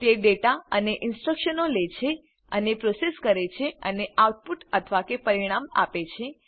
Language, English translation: Gujarati, It takes data and instructions, processes them and gives the output or results